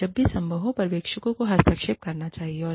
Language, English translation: Hindi, And, the supervisors should intervene, whenever possible